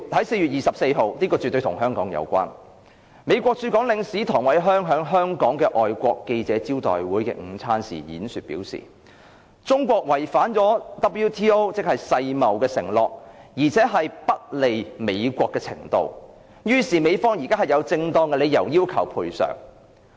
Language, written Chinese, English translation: Cantonese, 4月24日——此事絕對與香港有關——美國駐港領事唐偉康在香港外國記者會的午餐會演說時表示，中國違反了世界貿易組織的承諾，而且已經達到不利美國的程度，因此美方現在"有正當理由要求賠償"。, ZTE Corporation was the first victim Huawei may be next . On 24 April―this is absolutely relevant to Hong Kong―US Consul General Kurt TONG commented at a luncheon of the Foreign Correspondents Club that Chinas breaches of the commitments made under the World Trade Organization were sufficiently serious and detrimental to the United States that the United States are now justified in claiming damages . Kurt TONG borrowed a metaphor in his speech China has drawn a deserved yellow card